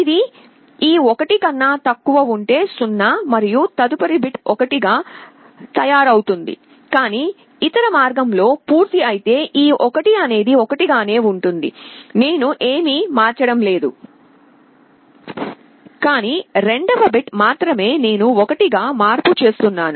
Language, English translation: Telugu, If it is less than this 1 is made 0 and the next bit is made 1, but if it is the other way round this 1 remains 1, I do not change, but the second bit only I am making 1